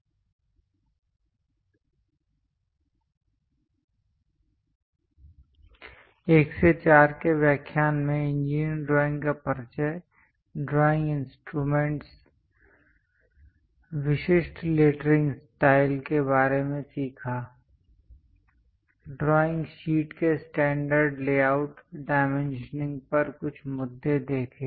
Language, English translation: Hindi, In lecture 1 to 4, we have learned about engineering drawing introduction, drawing instruments, the typical lettering style to be used; standard layouts of drawing sheet, few issues on dimensioning